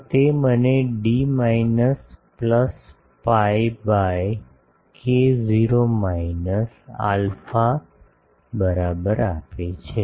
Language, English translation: Gujarati, So, that gives me d is equal to minus plus pi by k not minus alpha